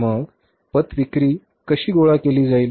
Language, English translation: Marathi, Now how this credit is going to be collected